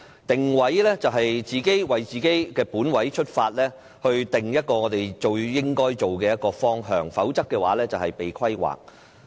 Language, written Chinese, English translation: Cantonese, "定位"即是從自己的本位出發，定下最應該做的方向，否則便是被規劃。, To position ourselves we need to set down the best direction for ourselves from our own standpoint . If not we will only end up being planned